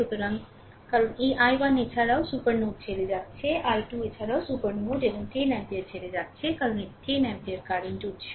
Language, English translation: Bengali, So, this because this i 1 also leaving the supernode, i 2 also leaving the supernode and 10 ampere also leaving this because it is 10 ampere current source, right